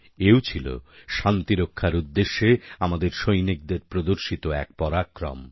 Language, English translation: Bengali, This too was an act of valour on part of our soldiers on the path to peace